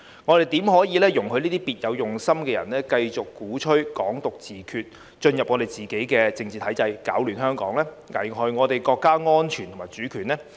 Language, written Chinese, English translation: Cantonese, 我們怎能容許這些別有用心的人繼續鼓吹"港獨"自決，進入自己的政治體制，攪亂香港，危害國家安全及主權呢？, How can we allow these people with ulterior motives to continue to advocate Hong Kong independence and self - determination to enter our own political system to stir up trouble in Hong Kong and to endanger national security and sovereignty?